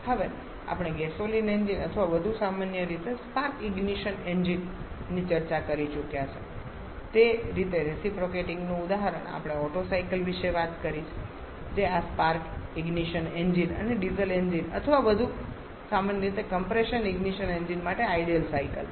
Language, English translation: Gujarati, Now the example of reciprocating as we have already discussed the gasoline engines or more commonly the spark ignition engines, we have talked about the Otto cycle which are ideal circuits for this Spartan engine and diesel engines are more commonly the compression ignition engine